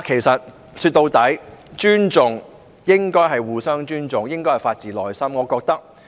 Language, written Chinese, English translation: Cantonese, 說到底，尊重應該是互相尊重，應該是發自內心。, In the final analysis respect should be reciprocal and it should come from the heart